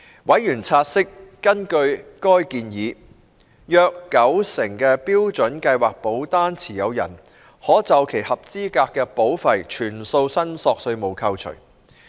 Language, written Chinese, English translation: Cantonese, 委員察悉，根據該建議，約九成標準計劃保單持有人可就其合資格保費全數申索稅務扣除。, Members noted that about 90 % of the policy holders of Standard Plan could have their qualifying premiums fully deductible under the current proposal